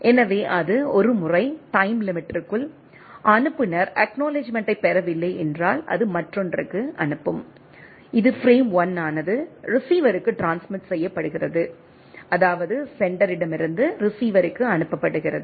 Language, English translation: Tamil, So, it once within the time limit, the sender does not receive the acknowledgement, it will send the another that frame 1 is retransmitted to the receiver means sender to receiver right